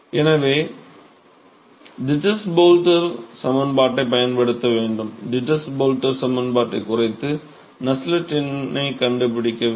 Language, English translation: Tamil, So, we have to use the Dittus Boelter equation, reduce the Dittus Boelter equation to find the Nusselt number